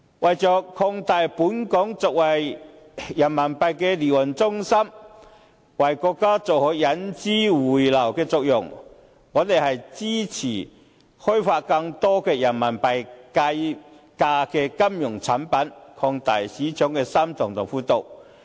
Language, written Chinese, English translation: Cantonese, 為了壯大本港作為人民幣離岸中心的地位，為國家做好引資匯流的作用，我們支持開發更多人民幣計價的金融產品，擴大市場的深度和闊度。, In order to boost Hong Kongs status as an offshore Renminbi centre and attract the inflow of capital for the Mainland we support developing more Renminbi denominated financial products to deepen and widen the market